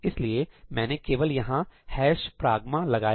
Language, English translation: Hindi, I just put a hash pragma here